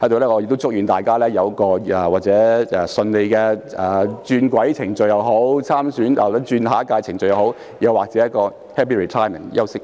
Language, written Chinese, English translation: Cantonese, 我在此祝願大家有一個順利的轉軌程序或參選下一屆的程序，又或者 happy retirement 和休息。, Here I would like to wish Members a smooth process of career transition or candidacy for the next term or a happy retirement and a good break